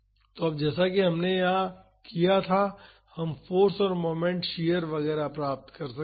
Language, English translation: Hindi, So, now, as similarly as we did here we can find the force and the moment shear etcetera